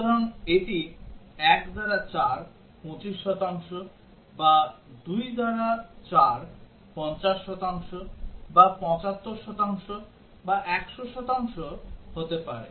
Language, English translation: Bengali, So it can be 1 by 4, 25 percent or 2 by 4 50 percent, or 75 percent, or 100 percent